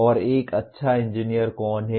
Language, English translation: Hindi, And who is a good engineer